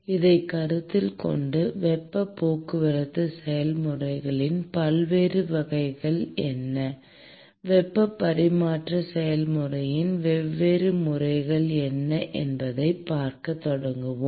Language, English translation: Tamil, With this in mind, we will start looking at what are the different types of heat transport process, what are the different modes of heat transfer process